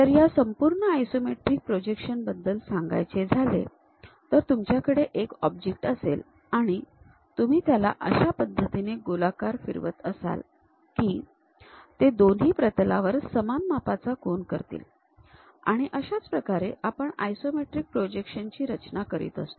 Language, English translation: Marathi, So, all about this isometric projection is if you have an object if you are rotating in such a way that it makes equal angles on both the planes that is the way we have to construct this isometric projections